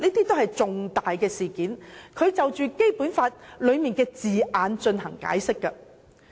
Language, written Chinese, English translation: Cantonese, 這些均屬重大事件，要就《基本法》條文的字眼進行解釋。, They are all major events which require interpretations of the wording of the provisions of the Basic Law